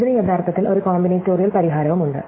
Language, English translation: Malayalam, So, it turns over that actually this also has a combinatorial solution